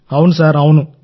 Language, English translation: Telugu, Yes… Yes Sir